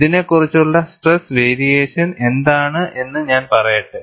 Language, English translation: Malayalam, Let me put, what is the stress variation over this